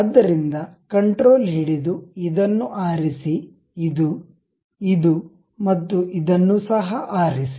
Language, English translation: Kannada, So, control, pick this one, this one, this one and also this one